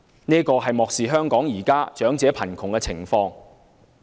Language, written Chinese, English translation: Cantonese, 這是漠視了香港現時長者貧窮的情況。, This is a total disregard of the poverty situation of elderly people in Hong Kong